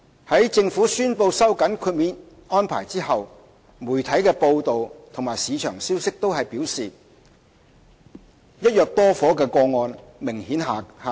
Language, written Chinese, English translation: Cantonese, 在政府宣布收緊豁免安排後，媒體的報道和市場消息均表示"一約多伙"的個案數目明顯下跌。, After the Government has announced the tightening of the exemption arrangement media reports and market news have both indicated a significant drop in the number of cases involving the purchase of multiple flats under one agreement